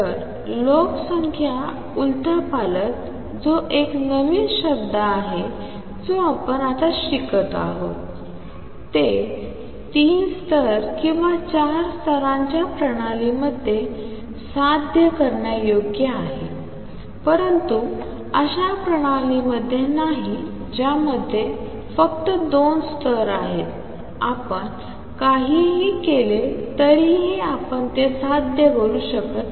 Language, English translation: Marathi, So, population inversion which is a new word now you are learning is achievable in a three level or four level system, but not in a system that has only two levels there no matter what you do you cannot achieve that